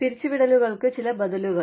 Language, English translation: Malayalam, Some alternatives to layoffs